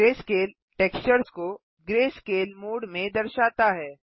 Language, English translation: Hindi, Greyscale displays the textures in greyscale mode